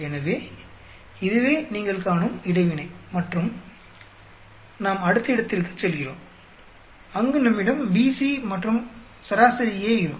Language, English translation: Tamil, So, this is the interaction you see, then we go to the next one where we have BC and A is averaged out